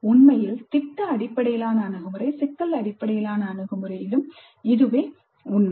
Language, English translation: Tamil, In fact same is too even with product based approach problem based approach